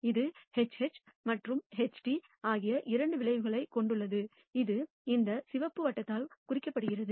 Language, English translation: Tamil, This consists of two outcomes HH and HT, which is indicated by this red circle